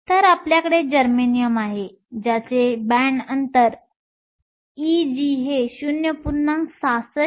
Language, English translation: Marathi, So, we have germanium with the band gap E g of 0